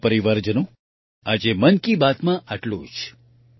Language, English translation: Gujarati, My family members, that's all today in Mann Ki Baat